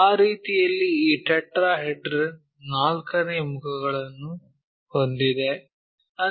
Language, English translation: Kannada, So, in that way we have this tetrahedron fourth faces